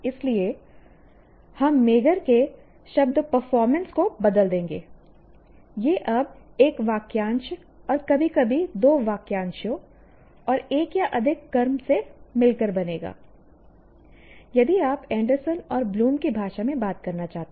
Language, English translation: Hindi, So, we will replace the word performance of Magar will now consist of a phrase and occasionally two phrases and one or more objects if you want to talk in the language of Anderson and Bloom